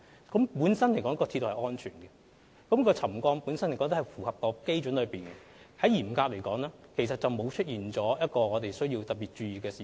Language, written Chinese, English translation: Cantonese, 鐵路本身是安全的，而沉降幅度亦符合基準，嚴格來說，鐵路並沒有出現任何需要我們特別注意的事情。, The railway line is safe and the settlement levels also meet the benchmarks . Strictly speaking as far as railway safety is concerned there is nothing which requires our special attention